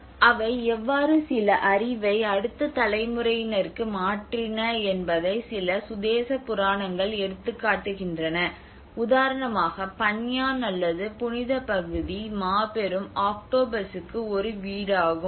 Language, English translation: Tamil, And there is also certain indigenous myths how they have also transferred some knowledge to the next generations that for example the Panyaan or the sacred area is a home to the giant octopus